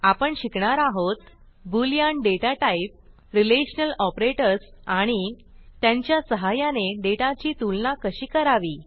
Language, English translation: Marathi, In this tutorial, we will learn about the the boolean data type Relational operators and how to compare data using Relational operators